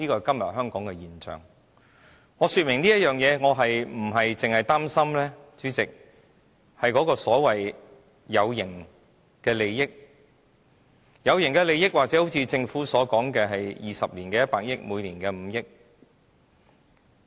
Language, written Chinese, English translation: Cantonese, 主席，我說明這些，並非只是擔心那些所謂有形利益。所謂有形利益，或許正如政府所說，在20年間收取100億元，每年5億元。, Chairman I spell these out as my concern is not only about the so - called tangible benefits which may amount to 10 billion in 20 years or 500 million in a year as forecast by the Government